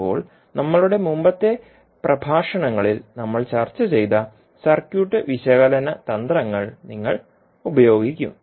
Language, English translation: Malayalam, Now, you will use the circuit analysis techniques, what we discussed in our previous lectures